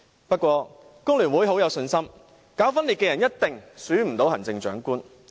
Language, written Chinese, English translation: Cantonese, 不過，工聯會很有信心，搞分裂的人一定不可能被選為行政長官。, But FTU is very confident to say that no separatist can possibly be selected as the Chief Executive